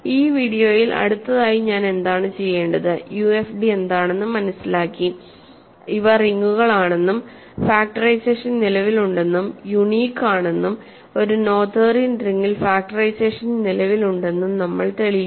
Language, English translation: Malayalam, So, what I want to do next in this video we have learned what UFD s are these are rings, where factorization exist and is unique and we have proved that in a Noetherian ring factorization exists